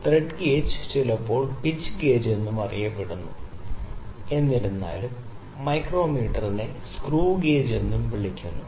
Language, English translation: Malayalam, So, thread gauge is also sometime known as screw gauge however the micro meter is also known as screw gauge, it is also known as pitch gauge